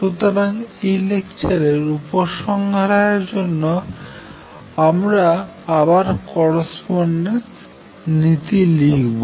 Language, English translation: Bengali, So, to conclude this lecture I will just again write the correspondence